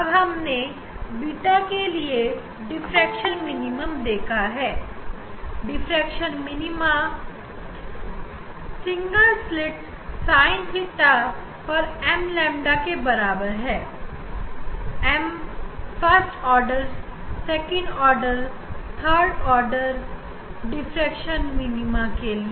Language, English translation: Hindi, Now, for beta this we have seen that we will get diffraction minima, we will get diffraction minima diffraction minima single slit diffraction minima at a sin theta equal to m lambda; m is the order first order, second order, third order of the diffraction minima